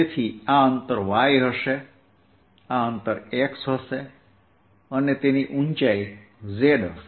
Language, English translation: Gujarati, so this distance will be y, this distance will be x and this height will be z